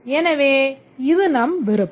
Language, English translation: Tamil, So, this is optional